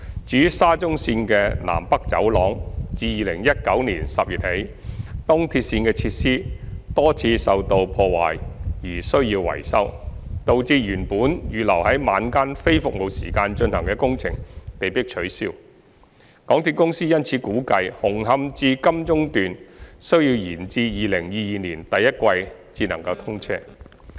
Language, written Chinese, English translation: Cantonese, 至於沙田至中環綫的"南北走廊"，自2019年10月起，東鐵綫的設施多次受到破壞而需要維修，導致原本預留在晚間非服務時間進行的工程被迫取消，港鐵公司因此估計"紅磡至金鐘段"需延至2022年第一季才能通車。, As regards North South Corridor of the Shatin to Central Link SCL since October 2019 there had been multiple damages to the EAL facilities necessitating maintenance and cancellation of works originally planned during non - traffic hours at night . Therefore MTRCL considered that the commissioning date for Hung Hom to Admiralty Section had to be deferred to the first quarter of 2022